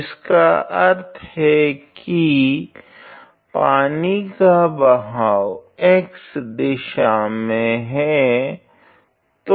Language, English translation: Hindi, So, which means and the flow of the water is along the x direction